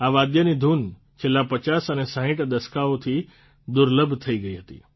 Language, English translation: Gujarati, It had become rare to hear tunes of this instrument since the late 50's and 60's